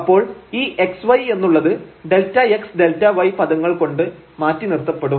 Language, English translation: Malayalam, So, this x y will be replaced simply by delta x and delta y terms